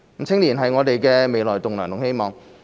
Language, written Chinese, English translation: Cantonese, 青年人是我們的未來棟樑和希望。, Young people are the future pillars and hope of our society